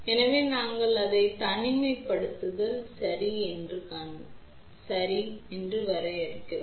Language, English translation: Tamil, So, we define it as isolation ok